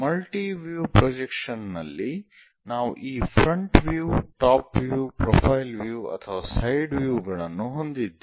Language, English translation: Kannada, In multi view projections, we have these front view, top view and profile view or perhaps side views